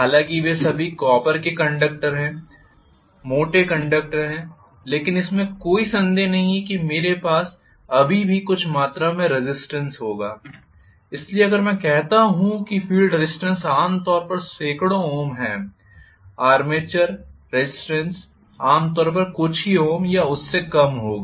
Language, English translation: Hindi, Although they are all copper conductors, thick conductors, no doubt but I will still have some amount of resistance so if I say that the feel resistance is generally hundreds of ohms, armature resistance will be generally of few ohms or less